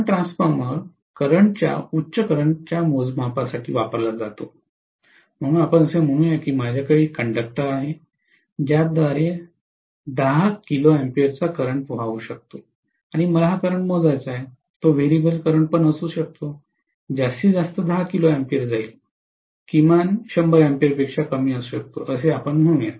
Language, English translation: Marathi, The current transformer is being used for measurement of current, high currents, so let us say, I am having a conductor through which may be 10 kilo amperes of current is flowing and I want to measure this current, it can be a variable current, the maximum is probably 10 kilo ampere, minimum can be as low as 100 ampere let us say